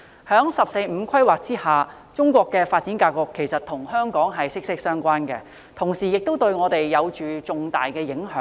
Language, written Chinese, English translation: Cantonese, 在"十四五"規劃下，中國的發展格局與香港息息相關，同時亦對香港有着重大的影響。, Under the 14 Five - Year Plan Chinas development pattern is closely related with Hong Kong and has a significant impact on us